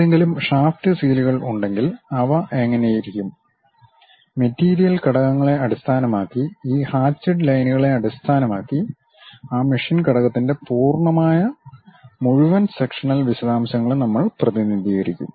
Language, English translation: Malayalam, If there are any shaft seals, how they really look like; based on these hatched lines, based on the material elements, we will represent these complete full sectional details of that machine element